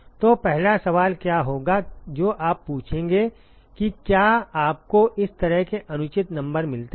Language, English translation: Hindi, So what will be the first question that you would ask if you get such kind of unreasonable numbers